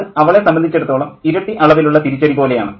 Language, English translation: Malayalam, And that's a kind of a double whammy for her